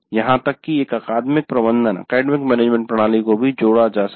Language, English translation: Hindi, Still if you want more higher academic management system can be added